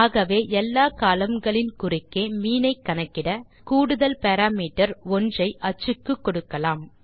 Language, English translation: Tamil, So to calculate mean across all columns, we will pass extra parameter 1 for the axis